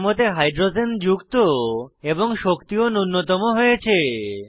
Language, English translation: Bengali, Hydrogens are added to the structure and the energy minimized